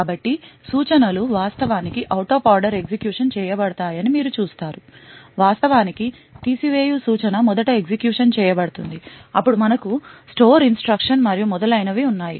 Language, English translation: Telugu, So, you see that the instructions are actually executed out of order, the subtract instruction in fact is executed first, then we have the store instruction and so on